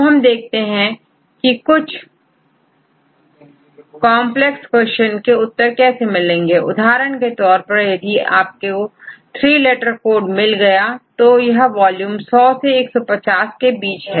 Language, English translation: Hindi, Now, what will happen if you go through the complex queries for example, the question is you have to get three letter code, that fine with volume between 100 and 150